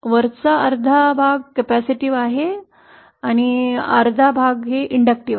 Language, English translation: Marathi, Top half is capacitive, bottom half is inductive